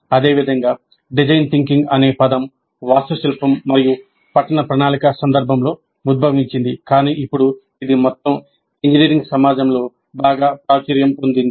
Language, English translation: Telugu, Similarly, the term design thinking arose in the context of architecture and urban planning but now it's very popularly used in the entire engineering community